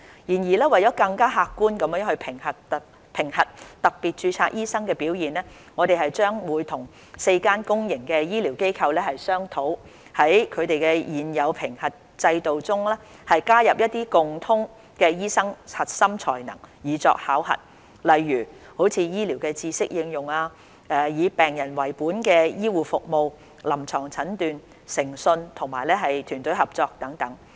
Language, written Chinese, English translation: Cantonese, 然而，為了更客觀地評核特別註冊醫生的表現，我們將與4間公營醫療機構商討，在他們現有的評核制度中，加入一些共通的醫生核心才能以作考核，例如醫療知識應用、以病人為本的醫護服務、臨床診斷、誠信和團隊合作等。, Nonetheless to better assess the performance of doctors with special registration in an objective manner we plan to discuss with the four institutions the inclusion of some common core competencies for doctors such as application of medical knowledge patient centred care clinical judgment integrity and teamwork in their existing assessment systems